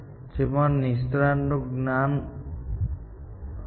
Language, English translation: Gujarati, This had expert knowledge inside it